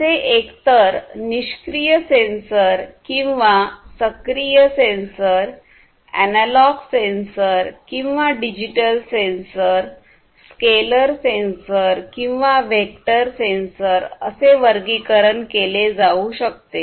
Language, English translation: Marathi, They could be classified as either passive sensor or active sensor, analog sensor or digital sensor, scalar sensor or vector sensor